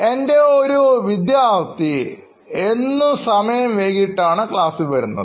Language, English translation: Malayalam, One of my students was very regular in coming late to classes